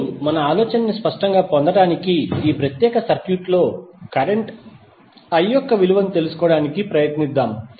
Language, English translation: Telugu, Now, to get the idea more clear, let us try to find out the value of current I in this particular circuit